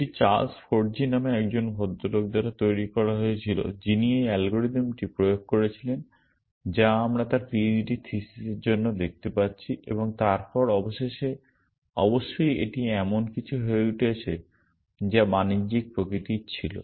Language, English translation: Bengali, It was developed by a guy called Charles Forgy who implemented this algorithm that we are going to look at for his p h d thesis and then eventually of course, it became something which was commercial in nature